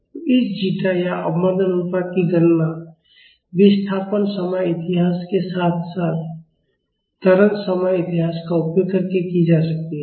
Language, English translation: Hindi, So, this zeta or the damping ratio can be calculated using the displacement time history as well as the acceleration time history